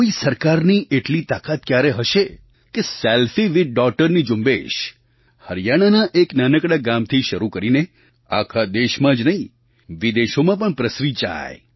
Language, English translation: Gujarati, Who would have imagined that a small campaign "selfie with daughter"starting from a small village in Haryana would spread not only throughout the country but also across other countries as well